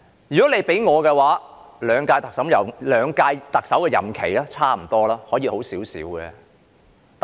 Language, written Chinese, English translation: Cantonese, 如果問我兩屆特首在任內的表現如何，我認為差不多，可以做好一點。, If I am asked to comment on the performance of the two Chief Executives during their terms of office I would say they are more or less the same but could have done better